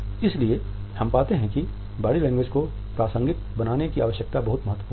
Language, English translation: Hindi, So, that is why we find that the need to contextualize body language is very important